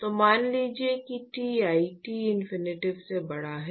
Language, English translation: Hindi, So, supposing if Ti is greater than Tinfinity